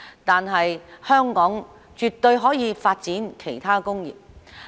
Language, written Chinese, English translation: Cantonese, 但是，香港絕對可以發展其他工業。, Yet Hong Kong can definitely develop other industries